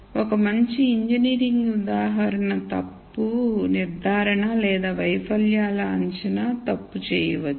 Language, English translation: Telugu, One very good engineering example would be fault diagnosis or prediction of failures